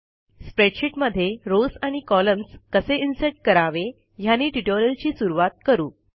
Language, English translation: Marathi, So let us start our tutorial by learning how to insert rows and columns in a spreadsheet